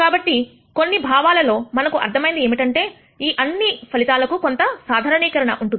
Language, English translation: Telugu, So, in some sense we understand that there should be some generalization of all of these results